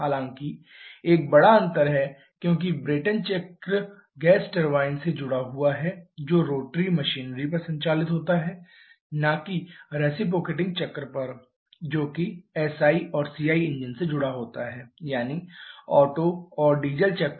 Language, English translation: Hindi, However there is one major difference because the Brayton cycle is associated with gas turbines which operate on rotary machinery not on reciprocating one which are associated with the SI and CI engines that is Otto and diesel cycles